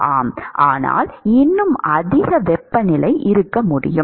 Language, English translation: Tamil, Yeah, but I can still have a higher temperature